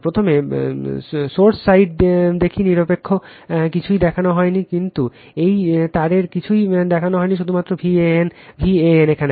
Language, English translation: Bengali, First let us see the source side no neutral nothing is shown, but that this wire nothing is shown only V a n is here